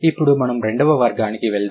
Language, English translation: Telugu, Now let's go to the second category